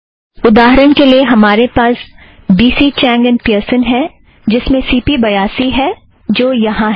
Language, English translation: Hindi, For example, you have B C Chang and Pearson so that has CP82, which is here